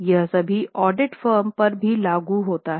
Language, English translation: Hindi, It also is applicable to all audit firms